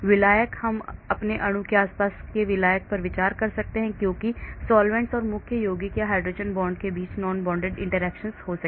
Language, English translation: Hindi, solvent I could consider solvent surrounding my molecule so there could be non bonded interactions between the solvents and the main compound or hydrogen bonds